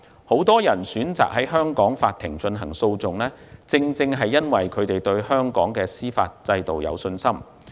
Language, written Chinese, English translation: Cantonese, 很多人選擇在香港法庭進行訴訟，正是因為他們對香港的司法制度有信心。, Many people choose to resort to litigation in Hong Kong courts precisely because they have confidence in the judicial system of Hong Kong